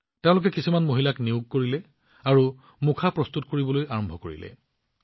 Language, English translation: Assamese, He hired some women and started getting masks made